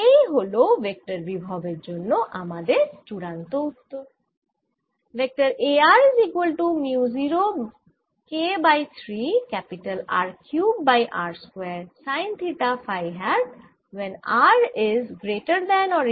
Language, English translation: Bengali, this is my final answer for the vector potential